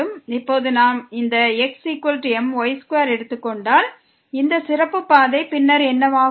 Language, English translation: Tamil, Now if we take this is equal to square this special path then what will happen